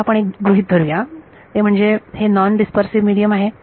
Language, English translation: Marathi, Let us make one further assumption that it is a non dispersive media